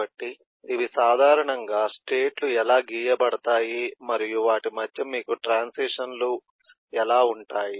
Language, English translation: Telugu, so these are, these are typically how the states are drawn and you have transitions eh between them